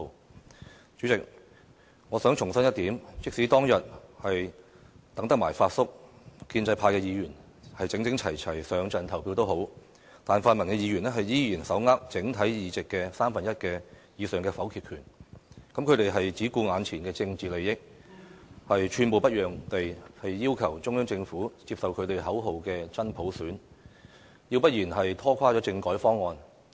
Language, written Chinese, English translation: Cantonese, 代理主席，我想重申一點，即使當日等到了"發叔"，建制派議員整整齊齊一起投票也奈何，因為泛民議員仍然手握整體議席的三分之一以上的否決權，而他們只顧眼前的政治利益，寸步不讓地要求中央政府接受他們口中的"真普選"，要不然便拖垮政改方案。, Deputy President I wish to reiterate one point that is it was to no avail even if they have successfully waited for Uncle Fat and the pro - establishment Members cast their votes in uniformity because pan - democratic Members were still holding the one - third veto . Besides they only cared about their political interests and without yielding an inch of ground they asked the Government to accept the genuine universal suffrage in their words or they would crumble the constitutional reform package